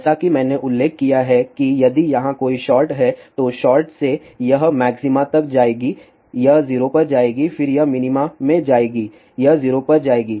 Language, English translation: Hindi, As I mention suppose if there is a short here, then from short it will go to maxima it will go to 0, then it will go to minima it will go to 0